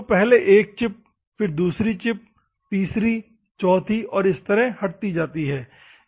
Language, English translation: Hindi, So, one chip, second chip, third chip, a fourth chip so on